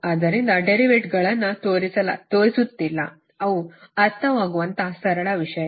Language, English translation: Kannada, so i am not showing derivatives, they are understandable